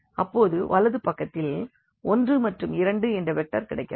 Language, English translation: Tamil, The right hand side we have this vector 4 and 1